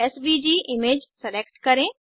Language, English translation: Hindi, Lets select SVG image